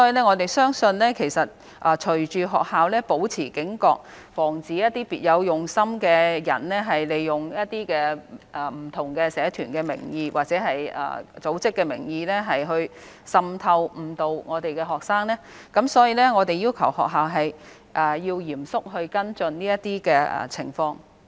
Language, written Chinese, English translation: Cantonese, 我們相信學校會保持警覺，防止別有用心的人利用不同社團或組織的名義滲透及誤導我們的學生，所以我們要求學校嚴肅跟進這些情況。, We believe that schools will remain vigilant to prevent individuals with ulterior motives from infiltrating and misleading our students under the name of different groups or organizations and we have asked schools to seriously follow up on these cases